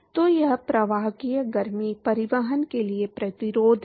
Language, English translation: Hindi, So, it is the resistance for conductive heat transport